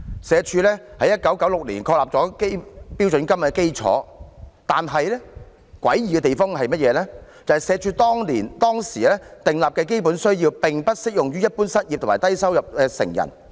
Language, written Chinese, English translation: Cantonese, 社署在1996年確立了標準金額基礎，但詭異的地方是，社署當時訂立的基本需要並不適用於一般失業及低收入成人。, In 1996 SWD set the foundation for standard rate payments yet it is weird that the Basic Needs Approach laid down by SWD back then was not applicable to the unemployed and low - income adults